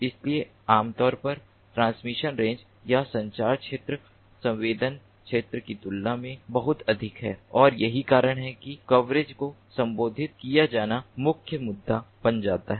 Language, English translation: Hindi, so typically the, the, the transmission range or the communication range is quite ah ah, much, much bigger than the sensing range, and that is why coverage becomes the main issue to be addressed